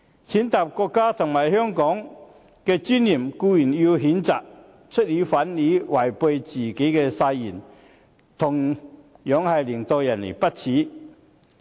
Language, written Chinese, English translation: Cantonese, 踐踏國家和香港的尊嚴固然要譴責，出爾反爾違背自己的誓言，同樣令人不齒。, Such trampling on the dignity of the country and Hong Kong should certainly be condemned . Going back on his words and breaching the oath taken by him are also despicable